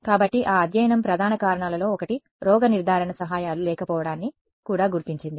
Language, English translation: Telugu, So, that study also identified one of the main reasons was a lack of diagnostic aids